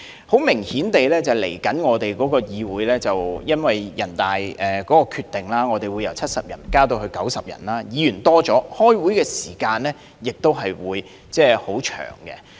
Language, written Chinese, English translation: Cantonese, 很明顯，由於人大的決定，未來議會議員將由70名增加至90名，議員數目增加，開會時間亦會變長。, Obviously with the decision of the National Peoples Congress the composition of the legislature will increase from 70 to 90 Members in the future and it naturally follows that the duration of meetings will likewise increase